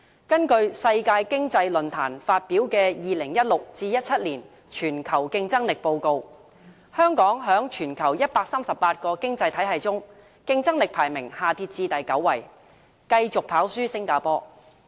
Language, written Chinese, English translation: Cantonese, 根據世界經濟論壇發表的《2016-2017 年全球競爭力報告》，香港在全球138個經濟體系中，競爭力排名下跌至第九位，繼續跑輸新加坡。, According to the Global Competitiveness Report 2016 - 2017 published by the World Economic Forum Hong Kong drops to the ninth place among 138 global economies and still loses out to Singapore